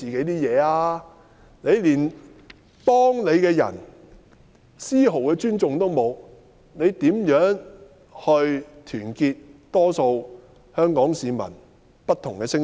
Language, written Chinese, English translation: Cantonese, 她連幫她的人都絲毫不予尊重，又如何會去團結香港市民眾多不同的聲音？, When she shows no respect for people who have helped her how can she unite the different voices from the general public of Hong Kong?